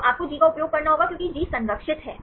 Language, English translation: Hindi, So, you have to use G because G is conserved